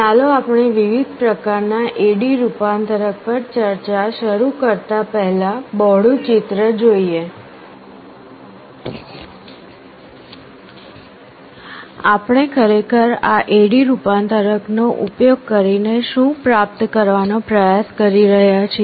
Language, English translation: Gujarati, Before we start the discussion on the different types of A/D conversion, let us look at the bigger picture, what we are actually trying to achieve using this A/D conversion